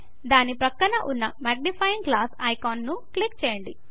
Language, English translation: Telugu, Click the magnifying glass icon that is next to it